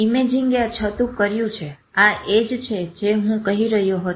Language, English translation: Gujarati, Imaging has revealed, this is what I was saying